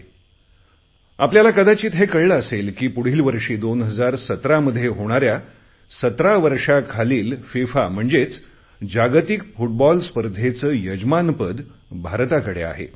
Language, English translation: Marathi, You must have come to know that India will be hosting the FIFA Under17 World Cup next year